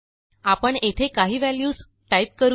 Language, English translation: Marathi, Let us type some values